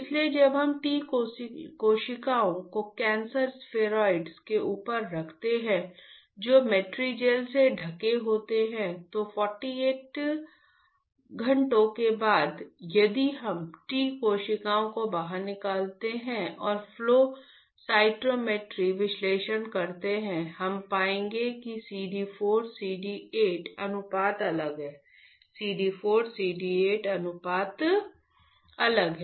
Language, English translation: Hindi, So, when there is when we keep the T cells over the cancer spheroids which are covered with Matrigel then after 48 hours, if we take out the T cells and perform flow cytometry analysis; flow cytometry analysis